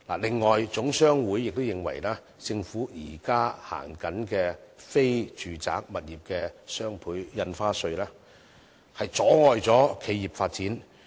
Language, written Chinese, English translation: Cantonese, 此外，總商會亦認為政府現行的非住宅物業雙倍印花稅，阻礙企業發展。, Besides HKGCC also thinks that the existing double stamp duty imposed by the Government on transactions relating to non - residential properties is impeding the development of enterprises